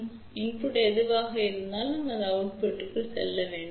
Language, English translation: Tamil, Whatever is the input it should go to the output